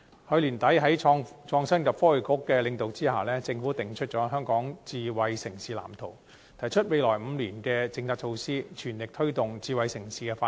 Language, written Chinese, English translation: Cantonese, 去年年底在創新及科技局的領導下，政府訂出《香港智慧城市藍圖》，提出未來5年的政策措施，全力推動智慧城市的發展。, Led by the Innovation and Technology Bureau the Government formulated late last year the Smart City Blueprint for Hong Kong laying down the policy measures for the next five years in an all - out effort to promote smart city development